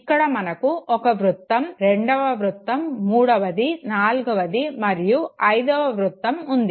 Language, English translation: Telugu, You have one circle, the second circle, third, the fourth and the fifth